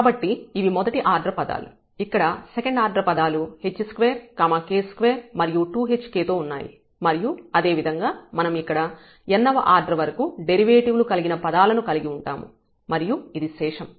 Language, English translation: Telugu, So, these are the first order terms here we have the second order terms with h square k square and 2 hk and similarly we will have the higher order derivatives there